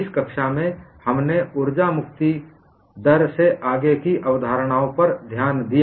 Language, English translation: Hindi, In this class, we have looked at the further concepts in energy release rate